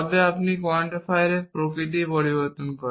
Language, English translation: Bengali, changes the nature of the quantifier